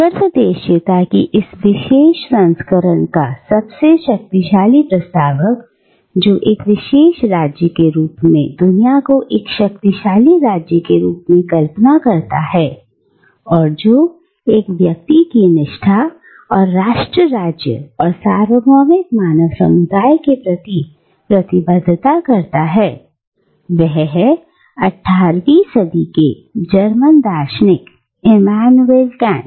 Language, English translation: Hindi, Now, the most powerful proponent of this particular version of cosmopolitanism which conceives the world as a super state, as a huge polis, and which tries to couple one's allegiance and commitment to nation state and to the universal human community, is the 18th century German Philosopher, Immanuel Kant